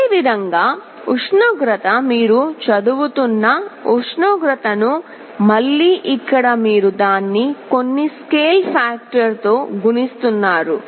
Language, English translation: Telugu, Similarly for the temperature you are reading the temperature, you are again multiplying it by some scale factor here